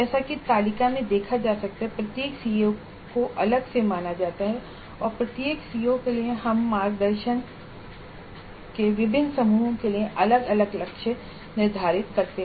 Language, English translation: Hindi, As can be seen in the table, each CO is considered separately and for each CO we set different targets for different groups of performances